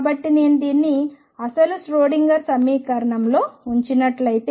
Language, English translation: Telugu, So, if I put this in the original Schrodinger equation